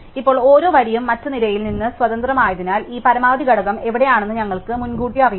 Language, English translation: Malayalam, Now because each row is independent of other row, we do not know in advance where this maximum element is